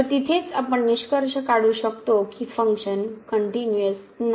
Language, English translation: Marathi, So, there itself we can conclude that the function is not continuous